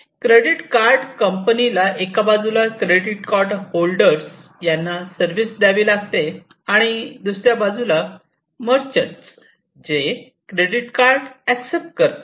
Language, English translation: Marathi, For example, if we are talking about a credit card company, so credit card company has to deal with the credit card holders on one side, and the merchants, who are going to accept those credit cards; so, those on the other side